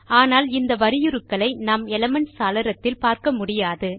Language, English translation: Tamil, But we wont find these characters in the Elements window